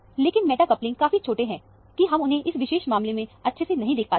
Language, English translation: Hindi, But the meta couplings are so small that, you do not see it very clearly, in this particular case